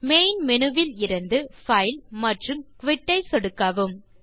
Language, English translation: Tamil, From the Main menu, click File and Quit